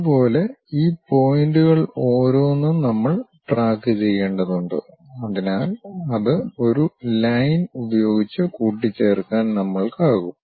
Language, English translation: Malayalam, In the similar way we have to track it each of these points so that, we will be in a position to join that by a line